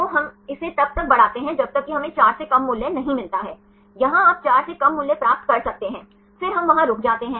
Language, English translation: Hindi, So, then we extend it until we get the value less than 4, here you can see the get the value less than 4 then we stop there